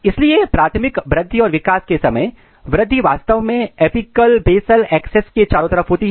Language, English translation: Hindi, So, during primary growth and development the the growth actually occurs across the apical basal axis